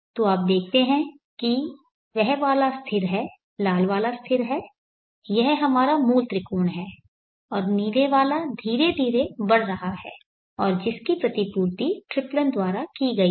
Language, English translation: Hindi, So you see that one is the constant one generate one is constant that is our original triangle and the blue one is gradually increasing and that is the tripling compensated one let me quit that